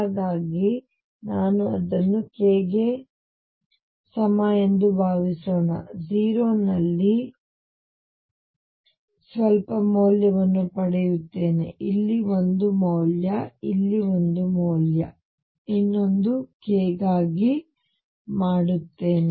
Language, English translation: Kannada, So, suppose I do it for k equals 0 I will get some value here, one value here, one value here, one value here one value here, I do it for another k nearby either a value here